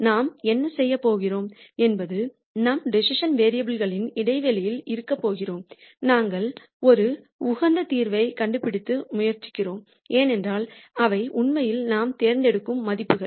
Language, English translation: Tamil, So, what we are going to do is we are going to be in the space of decision variables and we are going to try and find an optimum solution because those are the values that we are actually choosing